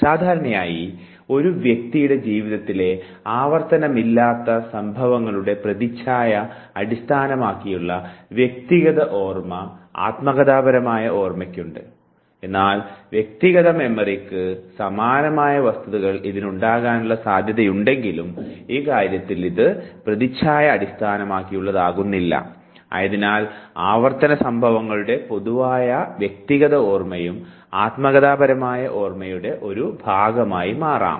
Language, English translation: Malayalam, Usually autobiographical memory has the imaged based personal memory of unrepeated events of the life of the individual, but there is also a possibility that it might have facts similar to the personal memory; however, in this case it would be not imaged based and therefore, the generic personal memory of the repeated events that can also become a part of autobiographical memory